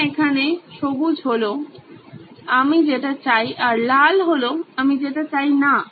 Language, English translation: Bengali, Yes, green is the stuff I want and red is the stuff I don’t want